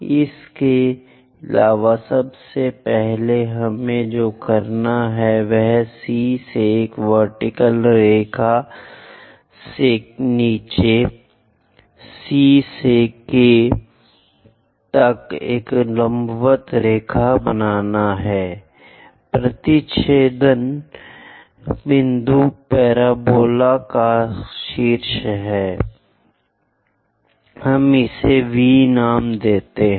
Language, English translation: Hindi, Further first of all what we have to do is, from C drop down a vertical line, from C all the way to K drop a vertical line; the intersection point is the vertex of the parabola, let us name it V